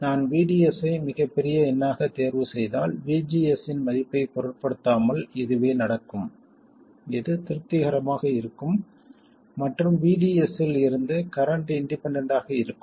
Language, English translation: Tamil, If I choose VDS to be a very large number, this will be the case regardless of the value of VGSGS this will be satisfied and the current will be independent of VDS